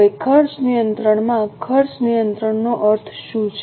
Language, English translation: Gujarati, Now what is meant by cost control